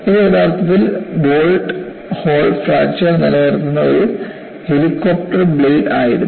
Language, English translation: Malayalam, And this was actually, a helicopter blade retaining bolt hole fracture